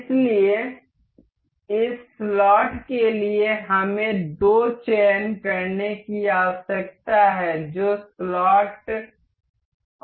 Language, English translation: Hindi, So, for this slot we need to make the two selections that is slot and this slot